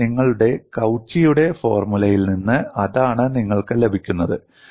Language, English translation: Malayalam, So, that is what you get from your Cauchy's formula and in an expanded form this is done